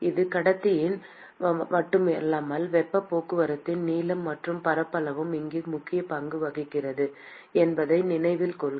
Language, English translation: Tamil, Note that it is not just conductivity, but also the length and the area of heat transport plays an important role here